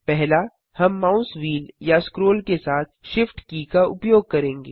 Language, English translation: Hindi, First we use the Shift key with the mouse wheel or scroll